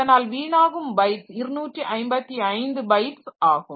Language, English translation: Tamil, So, the wasteage will be 255 bytes